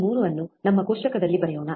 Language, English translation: Kannada, 3 in our table